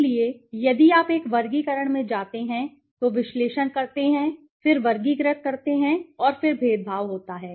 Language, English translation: Hindi, So, if you go to a classify, analyze, then classify and then there is discriminant right